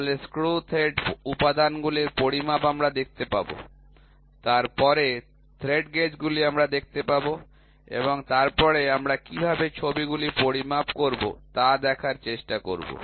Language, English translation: Bengali, Then, measurement of screw thread elements we will see then thread gauges we will see and then we will try to see how do we measure pictures